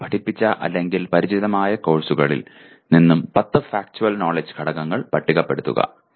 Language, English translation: Malayalam, From the courses you taught or familiar with list 10 Factual Knowledge Elements